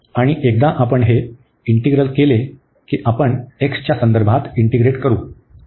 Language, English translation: Marathi, And then once we are done with this integral, we will integrate with respect to x